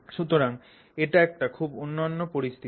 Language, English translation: Bengali, So, that is a very unique situation